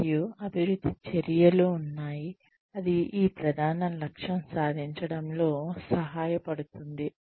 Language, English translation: Telugu, And, there are development actions, that can help achieve, this main objective